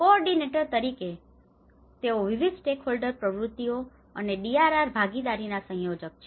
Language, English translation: Gujarati, As coordinators, so they are coordinators of multi stakeholder activities and DRR partnerships